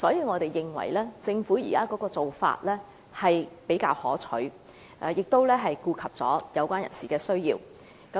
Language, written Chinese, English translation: Cantonese, 我們認為政府現時的做法比較可取，亦顧及有關人士的需要。, We consider the Governments present approach more desirable and it also takes into account the needs of the related persons